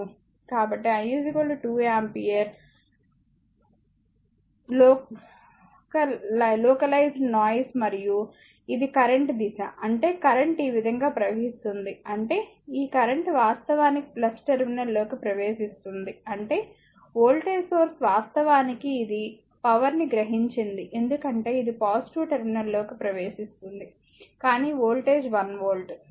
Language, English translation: Telugu, So, I is equal to 2 ampere right 2 ampere [vocalized noise and this is the direction of the current, this is the direction of the current; that means, the current actually flowing like this; that means, this current actually entering into this per your plus terminal ; that means, the voltage source actually this is actually it absorbed power because it is a entering into the positive terminal that means, but voltage is 1 volt